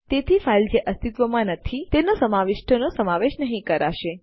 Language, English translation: Gujarati, So the content of the file which doesnt exist, wont be included